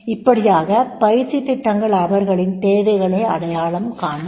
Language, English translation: Tamil, So, that will be the identifying training needs